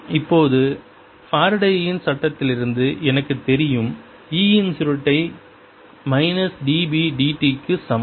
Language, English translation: Tamil, now i know from faradays law that curl of e is equal to minus d, b, d, t